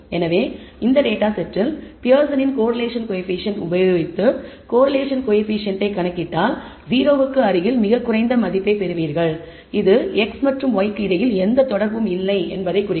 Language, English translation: Tamil, So, if you apply the Pearson’s correlation coefficient compute the Pearson correlation coefficient for this data set you get a very low value close to 0 indicating as if there is no association between x and y, but clearly there is a relationship because it is non linear